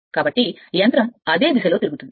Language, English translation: Telugu, So, machine will rotate in the same direction right